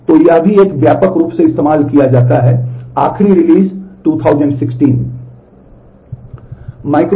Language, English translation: Hindi, So, this is also a widely used, last release 2016